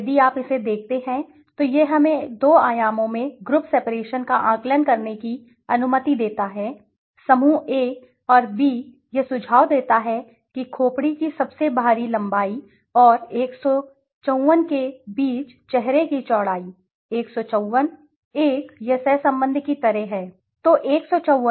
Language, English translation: Hindi, If you look at this it allows us to assess the group separation in two dimensions right, group A and B it seems to suggest that face breadth it says from between the outer most points greatest length of the skull and the 154, 1 it is like a correlation right, so correlation